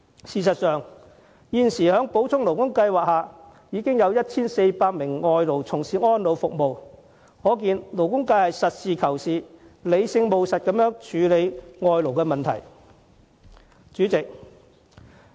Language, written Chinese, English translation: Cantonese, 事實上，在補充勞工計劃下，現時已有 1,400 名外勞從事安老服務，可見勞工界是實事求是、理性務實地處理外勞的問題。, In fact under the SLS 1 400 imported workers are engaged in the elderly services . This proves that the labour sector has been acting very rationally and pragmatically in dealing with the issue of foreign labour import